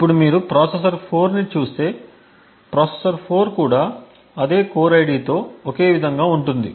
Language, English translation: Telugu, Now if you look at the processor 4 so processor 4 is also on the same for core with the same core ID